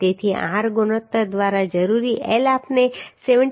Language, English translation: Gujarati, 36 So required L by r ratio we can find out as 74